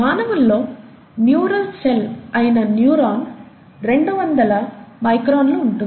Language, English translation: Telugu, If you talk of a neuron, which is a neural cell in humans, that could be two hundred microns, right